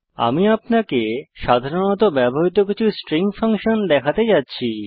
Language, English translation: Bengali, I am going to show you some of the commonly used string functions